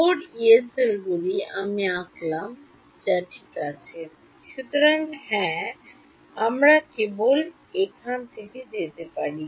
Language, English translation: Bengali, 4 Yee cells which I have drawn ok; so, yeah there is only so much we can go from here